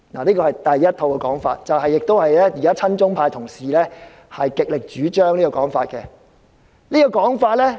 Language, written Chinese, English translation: Cantonese, 這是第一套說法，也是親中派同事極力主張的說法。, This is the first set of arguments which are strongly advocated by pro - China colleagues